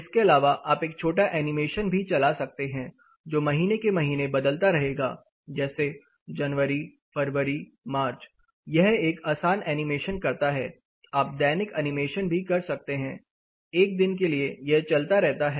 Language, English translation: Hindi, Apart from this it can also run a quick animation it will keep changing for example, month to month it changes say Jan Feb March it goes on month to month it does a simple animation or you can do a daily animation for a particular day it keeps running